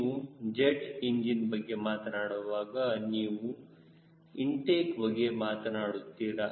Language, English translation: Kannada, when you talk about jet engine, you talk about the intake